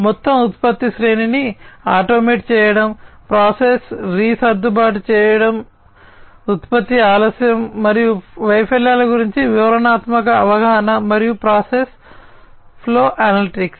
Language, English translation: Telugu, So, automating the entire product line basically automating the entire product line; then ease of process re adjustment facility, detailed understanding of production delay and failures, and process flow analytics